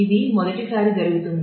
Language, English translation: Telugu, So, this happens the first time